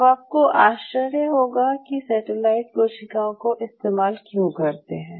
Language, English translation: Hindi, Now, you might wonder why we needed to use the satellite cells